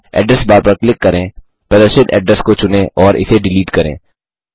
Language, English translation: Hindi, Click on the Address bar, select the address displayed and delete it